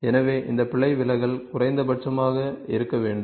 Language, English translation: Tamil, So, this error deviation should be minimum